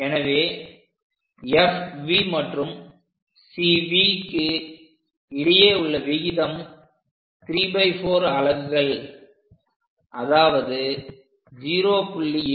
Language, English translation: Tamil, So, that F V to C V will be 3 by 4 units which is 0